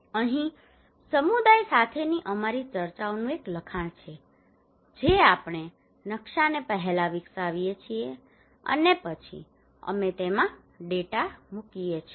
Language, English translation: Gujarati, Here is a transcript of our discussions with the community we develop the map first and then we put the data into it